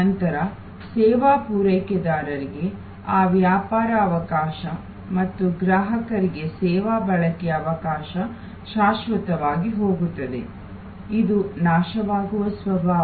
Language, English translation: Kannada, Then, that business opportunity for the service provider and the service consumption opportunity for the consumer gone forever, this is the perishable nature